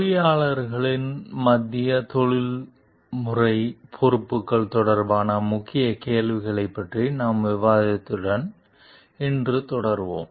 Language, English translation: Tamil, Today we will continue with our discussion of the Key Questions regarding the Central Professional Responsibilities of Engineers